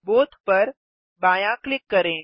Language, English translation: Hindi, Left click the new button